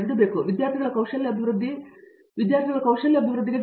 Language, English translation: Kannada, I think skills development of students has to be focused upon